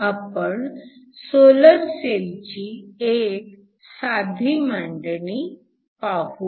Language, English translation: Marathi, Today, we are going to look at solar cells